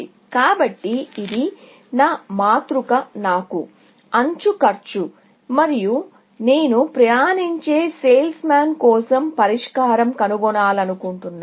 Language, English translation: Telugu, So, this is my matrix given to me; edge cost, and I want find the solution for the travelling salesman